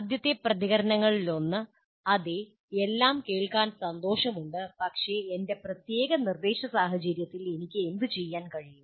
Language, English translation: Malayalam, One of the first reactions is likely to be, yes, it's all nice to hear, but what can I do in my particular instructional situation